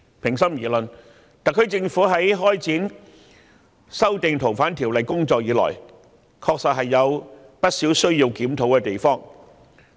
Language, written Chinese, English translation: Cantonese, 平心而論，特區政府自開展修訂《逃犯條例》的工作以來，確實有不少需要檢討的地方。, To give the matter its fair deal there are actually many areas that warrant review by the SAR Government since it launched the exercise of the FOO amendment